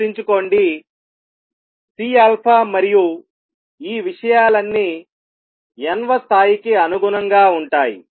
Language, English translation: Telugu, Remember, C alpha and all these things are corresponding to the nth level